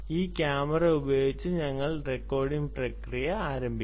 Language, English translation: Malayalam, this camera, we will start the recording process